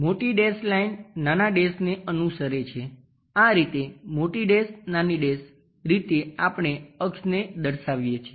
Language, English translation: Gujarati, A big dash line followed by a small dash again big dash small dash this is the way we represent an axis